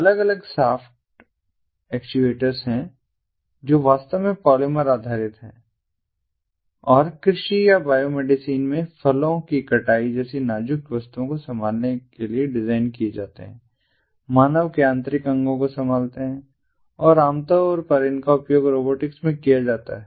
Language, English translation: Hindi, there are different soft actuators which are actually polymer based and the design to handles fragile objects like fruit harvesting in agriculture or in biomedicine, handling internal organs of human beings, and typically these are used in robotics